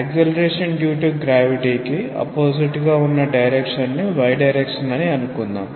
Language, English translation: Telugu, Let us say that the y direction is the direction opposite to the acceleration due to gravity